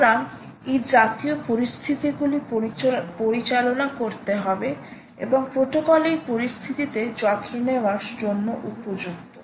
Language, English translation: Bengali, so such situations have to be handled and the protocol is well suited for taking care of these situation